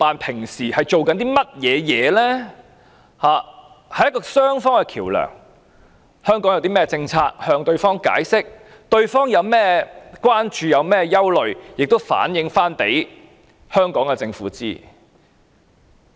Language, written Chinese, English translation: Cantonese, 他們本應擔當雙方的橋樑，香港有何政策，便要向對方解釋，對方有何關注和憂慮，亦要向香港政府反映。, The Washington ETO is supposed to act as the interface between the two places and explain new policies in Hong Kong to the United States and relay any concerns and worries they may have to the Hong Kong Government